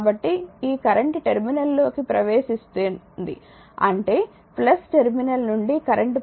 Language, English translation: Telugu, So, this current is entering the terminal means from plus terminal the current is flowing